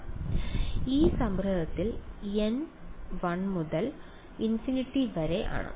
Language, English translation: Malayalam, So, in this summation n equal to 1 to infinity